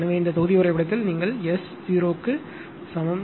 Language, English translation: Tamil, So, in this block diagram you put S is equal to 0